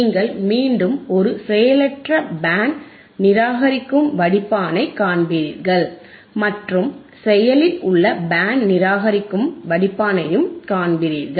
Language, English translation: Tamil, You will again see a Passive Band Reject Filter and we will see an Active Band Reject Filter all right